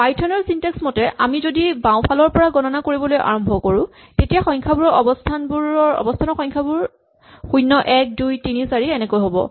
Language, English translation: Assamese, So, this is just some python syntax if you see which says that instead of, if we start counting from the left then the number the positions in the list are number 0, 1, 2, 3, and 4